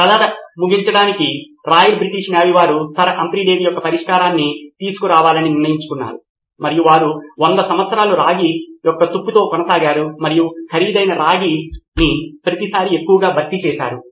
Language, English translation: Telugu, To end the story Royal British Navy decided that they are going to take away Sir Humphry Davy’s solution and they continued for 100 years with copper being corroded and they would replace the expensive copper every time it was too much